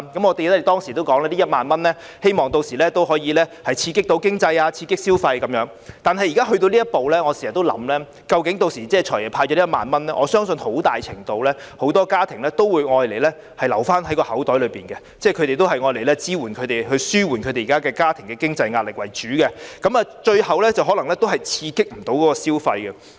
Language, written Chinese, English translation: Cantonese, 我們當時說希望這1萬元可以刺激經濟和消費，但現在到了這一步，我經常也在想，"財爺"派發了這1萬元後，我相信很多家庭屆時都會留在口袋中，希望用來支援他們的家庭經濟壓力為主，故可能最後也未能刺激消費。, We said at the time that we hoped that this 10,000 cash payout could stimulate the economy and spending . But as things have developed to the present state I always think that after the disbursement of this 10,000 by the Financial Secretary many families will prefer keeping it in their pockets and using it mainly to ease their financial pressure . Therefore it may not serve the purpose of stimulating spending at the end of the day